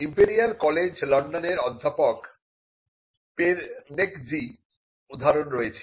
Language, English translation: Bengali, Now, we have the example of Robert Perneczky, the professor in Imperial College London